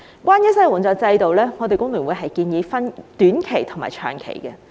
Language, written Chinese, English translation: Cantonese, 關於失業援助制度，工聯會建議分為短期和長期。, As regards the unemployment assistance system HKFTU proposes the introduction of short - term and long - term measures